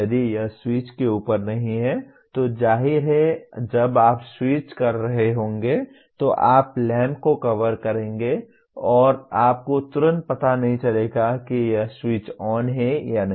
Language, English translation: Hindi, If it is not above the switch, obviously when you are switching on you will be covering the lamp and you would not immediately know whether it is switched on or not